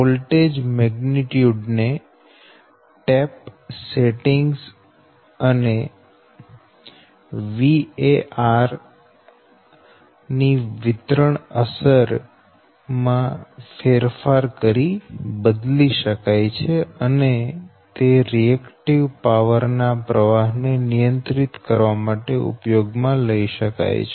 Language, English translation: Gujarati, so voltage magnitude is altered by changing the your tap setting and affects the distribution of var, that is the volt amperes, and may be used to control the flow of reactive power